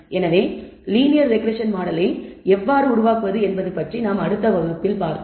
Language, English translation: Tamil, So, see you next class about how to build the linear regression model